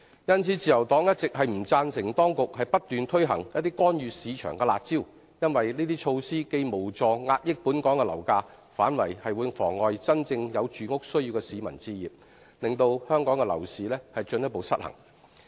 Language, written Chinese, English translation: Cantonese, 因此，自由黨一直不贊成當局不斷推行一些干預市場的"辣招"，因為這些措施既無助遏抑本港樓價，反而會妨礙真正有住屋需要的市民置業，令香港樓市進一步失衡。, Therefore the Liberal Party as always does not support the authorities decision to keep rolling out curb measures which interfere with the market . These measures will not help suppress property prices in Hong Kong but will get in the way of home acquisition by people who have genuine housing needs thus resulting in a further imbalance in Hong Kongs property market